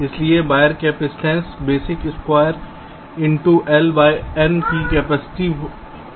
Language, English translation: Hindi, so wire capacitance will be the capacitance of a basic square into l by n